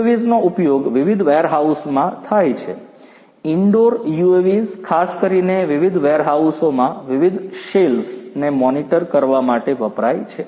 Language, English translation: Gujarati, UAVs are used in different warehouses, the indoor UAVs particularly are used in the different warehouses to monitor the different shelves, in those warehouses